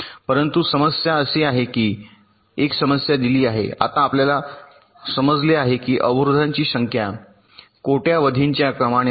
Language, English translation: Marathi, but the problem is that, given a problem, now you understand that the number of blocks are in the order of billions